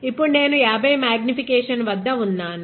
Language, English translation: Telugu, So, let us go to 50 x magnification